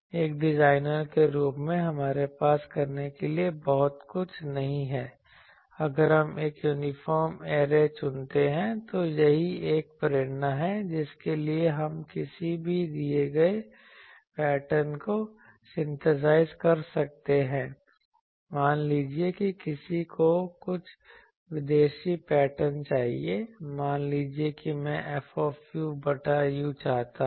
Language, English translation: Hindi, As a designer, we do not have much to do, if we choose an uniform array, so that is the motivation for going to that can we synthesize any given pattern, suppose someone wants some exotic patterns, suppose I want F u by u